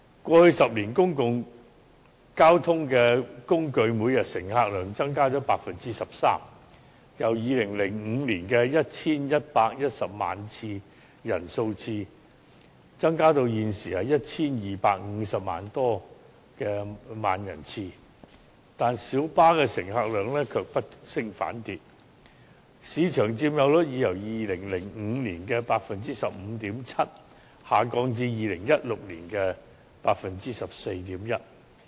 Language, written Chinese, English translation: Cantonese, 過去10年，公共交通工具每天的乘客量增加了 13%， 由2005年的 1,110 萬人次增加至現時的 1,250 多萬人次，但小巴乘客量卻不升反跌，市場佔有率已由2005年的 15.7% 下降至2016年的 14.1%。, Over the past 10 years the daily public transport patronage has increased by 13 % from about 11.1 million passenger trips in 2005 to about 12.5 million passenger trips at present . However insofar as minibuses are concerned the patronage has dropped instead of rising with its market share of 15.7 % in 2005 dropping to 14.1 % in 2016